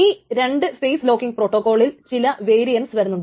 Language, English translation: Malayalam, So there are some variants of the two phase locking protocol